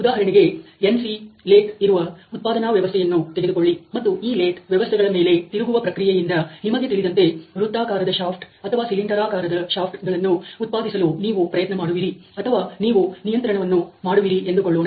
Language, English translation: Kannada, For example, if the production system where NC lathe and you are controlling or you are trying to sort of you know produce circular shafts or cylindrical shafts by turning process on this lathe systems